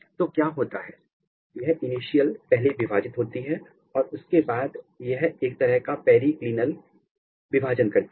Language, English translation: Hindi, So, what happens this initial first it divides, divides and then it makes a kind of periclinal division